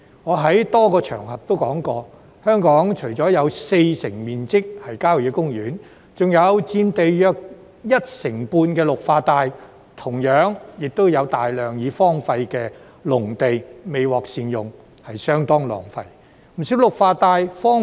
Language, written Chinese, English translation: Cantonese, 我在多個場合均有提及，香港除了有四成面積是郊野公園外，還有佔地約一成半的綠化帶，亦有大量已荒廢的農地未獲善用，相當浪費。, I have mentioned on multiple occasions that apart from having 40 % of its area occupied by country parks Hong Kong still has about 15 % of its area covered by green belts . Besides there is also plenty of deserted agricultural land not being put to good use which is quite a waste